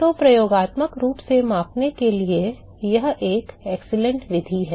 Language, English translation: Hindi, So, that is an excellent method to measure experimentally